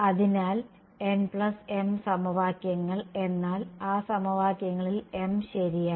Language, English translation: Malayalam, So, n plus m equations right, but in m of those equations right